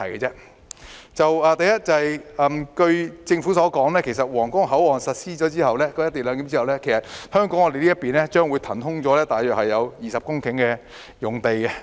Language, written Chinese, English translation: Cantonese, 第一，據政府所說，在皇崗口岸實施"一地兩檢"後，香港這邊將會騰空大約20公頃用地。, Firstly according to the Government after the implementation of co - location arrangement at the Huanggang Port about 20 hectares of land in Hong Kong will be released